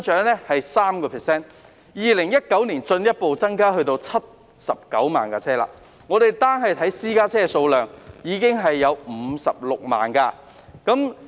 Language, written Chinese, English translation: Cantonese, 車輛數目在2019年進一步增加至79萬部，僅私家車已有56萬部。, The number of vehicles further grew to some 790 000 in 2019 among which private vehicles already accounted for some 560 000